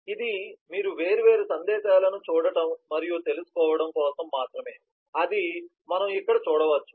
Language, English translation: Telugu, so this is just for you to see and get familiar with different messages, so we can see here